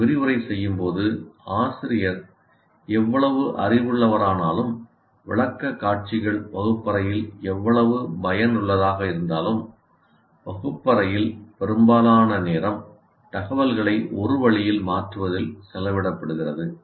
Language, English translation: Tamil, Because when you lecture, however knowledgeable the teacher is, however much the way of presenting in the classroom is good or bad, most of the time in the classroom is spent in transfer of information one way